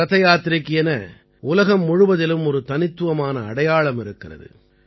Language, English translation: Tamil, Rath Yatra bears a unique identity through out the world